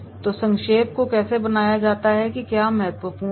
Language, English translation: Hindi, So, how to make the summarising, what is really important